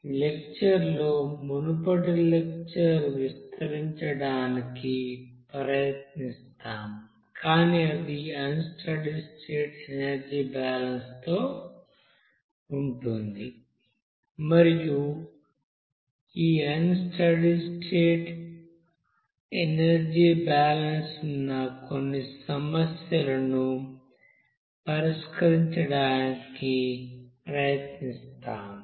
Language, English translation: Telugu, In this lecture we will try to extend those lecture, but it will be with the unsteady state energy balance and we will try to solve some problems where this unsteady state energy balance are involving